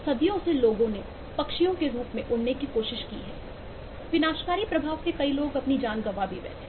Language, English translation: Hindi, for centuries, people has tried to fly as birds, with disastrous effects